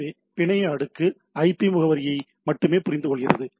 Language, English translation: Tamil, So, network layer understands only the IP address